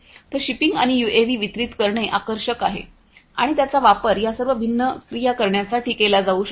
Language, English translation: Marathi, So, shipping and delivering UAVs are of you know attraction and they could be used for you know doing all of these different activities